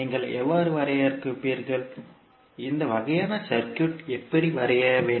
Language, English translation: Tamil, How you will define, how you will draw this kind of circuit